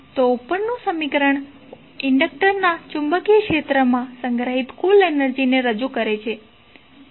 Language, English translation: Gujarati, So, above equation represents the total energy stored in the magnetic field of an inductor